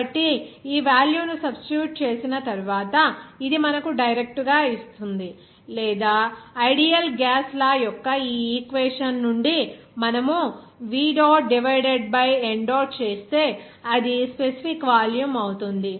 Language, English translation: Telugu, So, it will give you directly after substitution of this value or from this equation of ideal gas law, you can get it from that like V dot divided by n dot that will be your specific volume